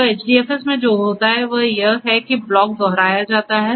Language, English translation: Hindi, So, what happens in HDFS is this blocks are replicated